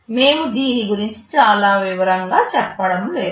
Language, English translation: Telugu, We are not going into too much detail of this